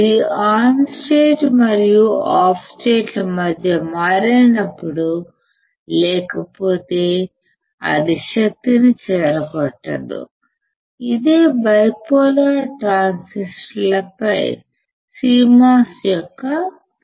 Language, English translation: Telugu, When it switches between the on state and off state, otherwise it will not dissipate the power that is the advantage of CMOS over the bipolar transistors